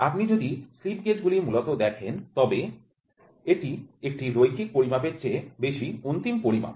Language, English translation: Bengali, Slip gauge is basically if you see it is an end measurement that than a linear measurement